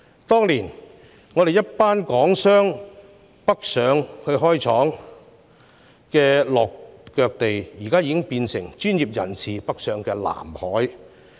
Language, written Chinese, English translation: Cantonese, 當年我們一群港商北上開設工廠的落腳地，現在已變成專業人士北上的"藍海"。, The place where we a group of Hong Kong businessmen going northward to set up factories on the Mainland many years ago has now become a blue ocean sought by those professionals heading for the Mainland